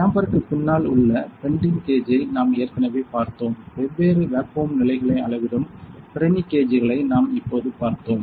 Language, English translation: Tamil, We already saw the pending gauge behind the chamber; now we have seen the Pirani gauges here which measures the different vacuum levels